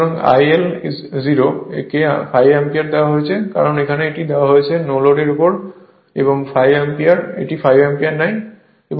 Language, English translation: Bengali, So, I L 0 is given 5 ampere it is given, because here it is given your what you call on no load and takes 5 ampere right